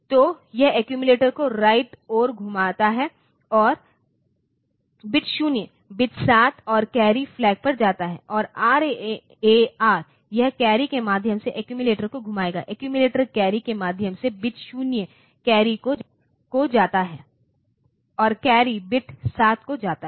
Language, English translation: Hindi, So, it is rotate the accumulator right bit 0 goes to bit 7 and the carry flag, and RAR it will rotate the accumulator through the carry accumulator, through the carry bit 0 goes to the carry and the carry goes to bit 7